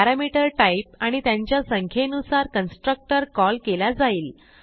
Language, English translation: Marathi, So depending on the type and number of parameter, the constructor is called